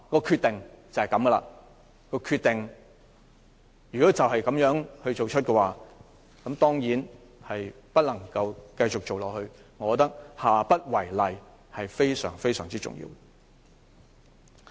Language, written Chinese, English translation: Cantonese, 決定已經作出，當然不能繼續進行下去，但我覺得下不為例非常重要。, Given that the Decision has already been made we can certainly not carry on . However I think it is very important that the co - location arrangement will not be repeated in the future